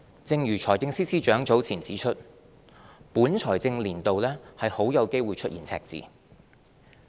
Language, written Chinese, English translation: Cantonese, 正如財政司司長早前指出，本財政年度很有機會出現赤字。, As pointed out by the Financial Secretary earlier we will likely have a deficit for the current financial year